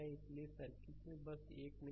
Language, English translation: Hindi, So, in circuit so, just one minute